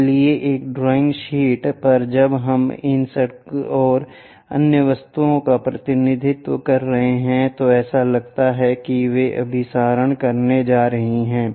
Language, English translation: Hindi, So, on a drawing sheet when we are representing these road and other objects it looks like they are going to converge